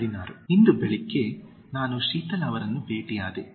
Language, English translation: Kannada, 16) Today morning I met Sheetal